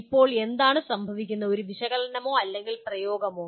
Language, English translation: Malayalam, Now what happens is, is that analysis or apply